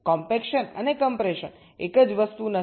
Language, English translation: Gujarati, compaction and compression are not the same thing